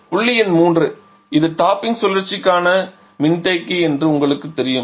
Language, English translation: Tamil, Ok point number 3 we know this is the this is the condenser for the topping cycle